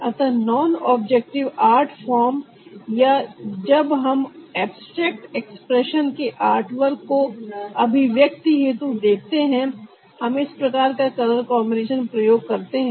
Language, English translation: Hindi, so in non objective art forms or when we see artworks from abstract expressionism, for the sake of expressions, we use this kind of c color combination